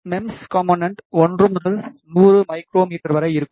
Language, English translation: Tamil, The MEMS element ranges in size from 1 to 100 micrometers